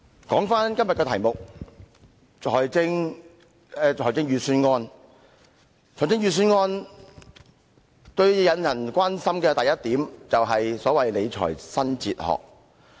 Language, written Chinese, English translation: Cantonese, 今天的議題是財政預算案，而最令人關心的是所謂"理財新哲學"。, The subject today is the Budget and the so - called new fiscal philosophy has aroused much concern